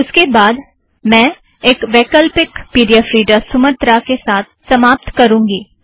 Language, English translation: Hindi, I will conclude with an optional pdf reader called Sumatra, that is free and open source